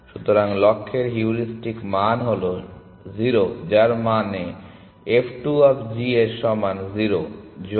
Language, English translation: Bengali, So, the heuristic value at the goal is 0 which means f 2 of g is equal to 0 plus 150 is 150